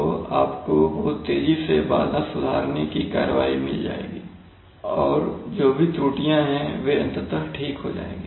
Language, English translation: Hindi, So you will get lot of disturbance correcting action very fast and whatever errors will remain they will eventually will also be corrected